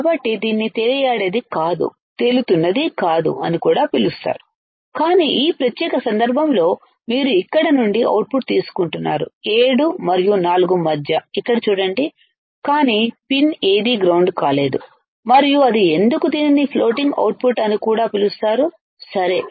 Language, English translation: Telugu, So, it is also called it is not floating, it is not floating, but in this particular case you are you are taking the output from here and see here that is between 7 and 4, but none of the pin is grounded and that is why this is also called floating output, ok